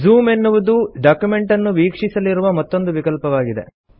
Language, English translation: Kannada, Another option for viewing the document is called Zoom